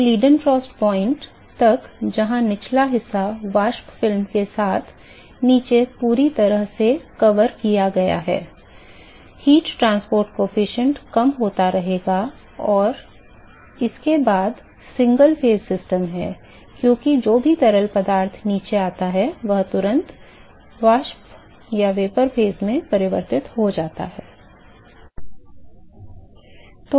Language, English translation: Hindi, So, till the Leidenfrost point were the bottom is now completely covered with the vapor film, the heat transport coefficient will continue to decrease and after that is single phase system because the bottom whatever fluid that comes to the bottom is instantaneously converted to the vapor phase